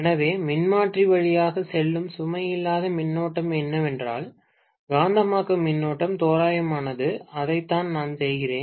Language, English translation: Tamil, So, what I am assuming is the no load current that is passing through the transformer is same as that of the magnetising current, approximation, that is what I am doing